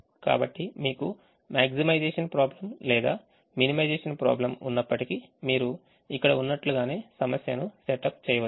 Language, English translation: Telugu, so whether you have a maximization problem or a minimization problem, you can set up the problem as as it is here